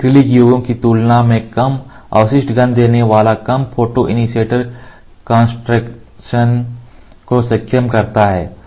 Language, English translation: Hindi, This enables low photoinitiator concentrations giving low residual odor than acrylic formulations